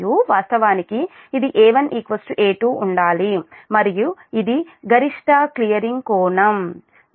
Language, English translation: Telugu, one must be equal to a two and this is the maximum clearing angle